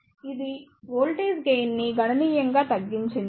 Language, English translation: Telugu, So, it has reduced the voltage can significantly